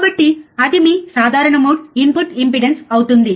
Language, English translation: Telugu, So, that will be your common mode input impedance